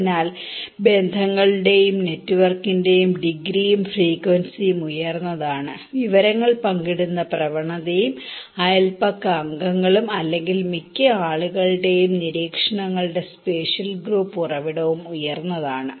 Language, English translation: Malayalam, So, higher the degree and frequency of ties and network, higher is the information sharing tendency and neighbourhood members or a spatial group source of observations for most of the people